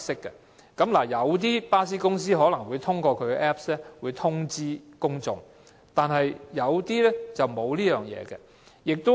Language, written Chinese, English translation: Cantonese, 雖然一些巴士公司可能會通過 Apps 通知公眾，但一些則沒有這樣做。, Although some bus companies may notify the public through their Apps some companies have not done so